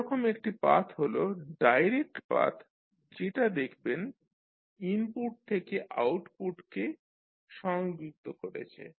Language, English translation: Bengali, One such path is the direct path which you can see which is connecting input to output